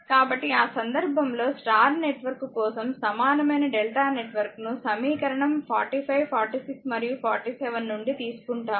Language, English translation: Telugu, So, in that case what we do that from for your Y network, that equivalent delta network we made from equation 45, 46 and 47 loop